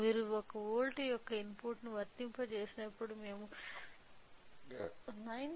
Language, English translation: Telugu, So, when you apply input of one volt we are getting output of 9